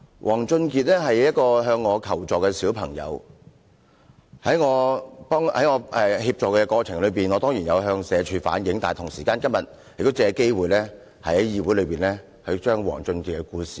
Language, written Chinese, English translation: Cantonese, 王俊傑是一個向我求助的小朋友，在我協助他的過程中，我當然有向社會福利署反映，但我同時也想藉今天這個機會，在議會說出王俊傑的故事。, WONG Chun - kit is a child who came to me for help . I certainly have reflected his case to the Social Welfare Department SWD but I also wish to take this opportunity today to tell the case of WONG Chun - kit in this Council